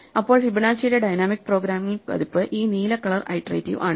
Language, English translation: Malayalam, Then the dynamic programming version of Fibonacci is just this iterative blue